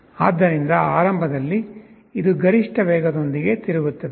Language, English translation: Kannada, So, initially it is rotating with the maximum speed